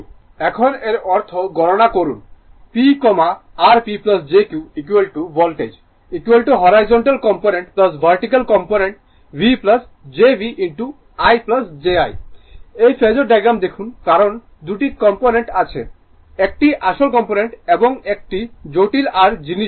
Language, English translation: Bengali, Now; that means, we calculate P we , your what you call P plus jQ is equal to now voltage is equal to you have this is horizontal component plus vertical component V plus jV dash into I plus j I dash look at that phasor diagram because, you have 2 component one is real component, one is real component and another is your ah your what you call complex your this thing; however, it, but horizontal one is vertical